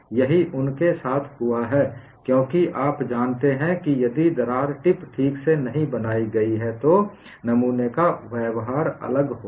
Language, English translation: Hindi, That is what has happened to them because if the crack tip is not made properly, the specimen behavior would be different